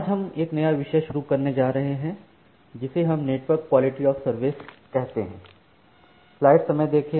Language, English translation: Hindi, So, today we will we are going to start a new topic which we call as tje Network Quality of Service